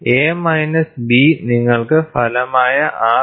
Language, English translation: Malayalam, So, A minus B gives you a resultant R